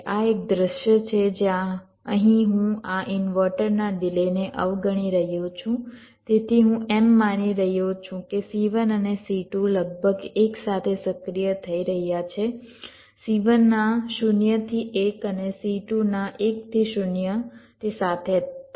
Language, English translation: Gujarati, this is a scenario where here i am ignoring the delay of this inverter, so i am assuming c one and c two are getting activated almost simultaneously, zero to one of c one and one to zero of c two are happing together